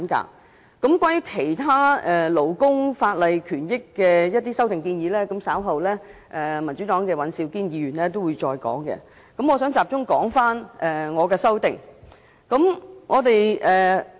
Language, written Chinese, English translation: Cantonese, 至於有關其他勞工權益法例的修訂建議，民主黨的尹兆堅議員稍後會再詳細闡述，在此我會集中討論我的修正案。, Mr Andrew WAN of the Democratic Party will elaborate on the proposed amendments to other labour rights legislation later . Here I will focus on a discussion about my amendment . First let me talk about maternity leave